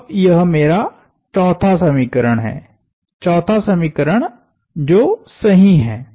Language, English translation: Hindi, So, this is my, this is what used to be my, this is now my 4th equation, the correct 4th equation